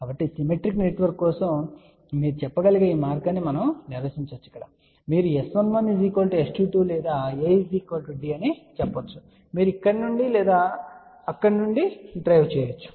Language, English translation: Telugu, So, we can define either way you can say for symmetrical network you can say S 11 is equal to S 22 or A is equal to D you can drive either from here or from there